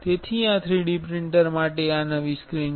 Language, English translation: Gujarati, So, this is the new screen for this 3D printer